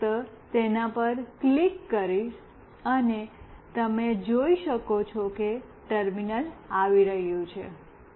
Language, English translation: Gujarati, I will just click on that and you can see a terminal is coming